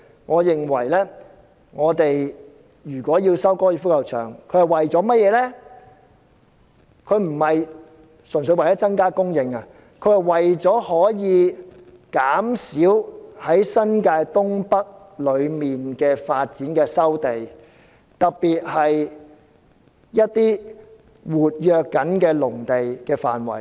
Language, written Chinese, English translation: Cantonese, 我認為如果收回高爾夫球場，不應純粹為增加房屋供應，而應減少在新界東北發展計劃中要收回的土地，特別是一些活躍農地的範圍。, I think if the golf course is to be resumed it should serve not only the purpose of increasing housing supply but also for reducing the sites to be resumed particularly areas with active farmlands under the North East New Territories development plan